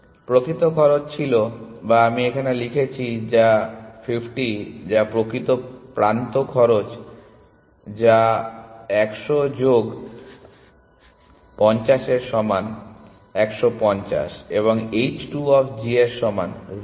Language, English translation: Bengali, The actual cost was or let me write which is 50 which is the actual edge cost which is equal to 100 plus 50 is 150 and h 2 of g is equal to 0